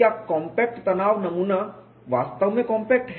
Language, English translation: Hindi, Is the compact tension specimen really compact